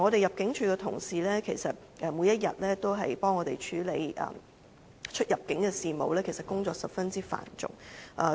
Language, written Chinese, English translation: Cantonese, 入境處的同事每天為我們處理出入境事務，工作十分繁重。, ImmD staff deal with immigration affairs for us every day and their workload is very heavy